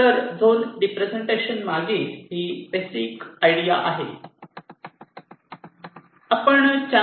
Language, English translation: Marathi, ok, so this is the basic idea behind zone representation